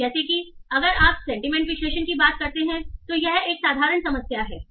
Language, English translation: Hindi, So as such, if you talk about sentiment analysis, so it looks a simple problem, right